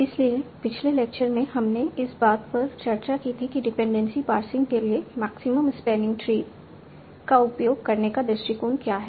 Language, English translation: Hindi, So in the last lecture we had talked about what is the approach of using maximum spenitry for dependency passing